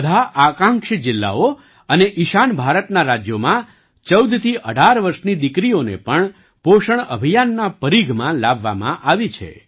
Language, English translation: Gujarati, In all the Aspirational Districts and the states of the North East, 14 to 18 year old daughters have also been brought under the purview of the POSHAN Abhiyaan